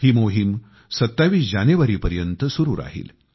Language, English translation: Marathi, These campaigns will last till Jan 27th